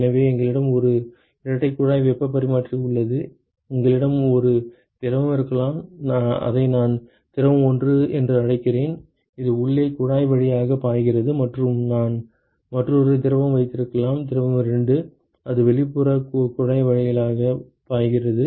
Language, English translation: Tamil, So, we have a double pipe heat exchanger and you could have one fluid let us say I call it fluid 1, which is flowing through the inside tube and I could have another fluid, fluid 2, which is flowing through the outside tube ok